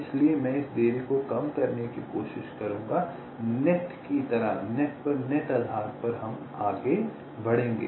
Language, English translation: Hindi, so i will be trying to minimize the delay of this net like that, on a net by net basis we shall proceed